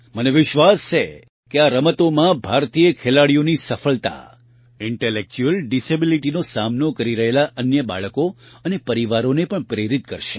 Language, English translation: Gujarati, I am confident that the success of Indian players in these games will also inspire other children with intellectual disabilities and their families